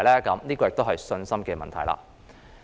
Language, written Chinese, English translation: Cantonese, 這也是信心的問題。, This likewise involves the question of confidence